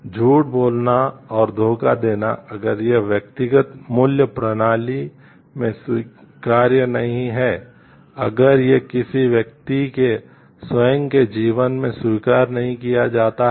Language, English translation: Hindi, Lying and deceit if it is not acceptable in a personal value system, if it is not accepted in a person’s own life